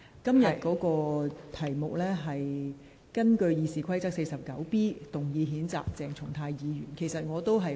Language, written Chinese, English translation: Cantonese, 本會現時處理的是，根據《議事規則》第 49B 條動議譴責鄭松泰議員的議案。, This Council is now dealing with the motion moved under RoP 49B1A to censure Dr CHENG Chung - tai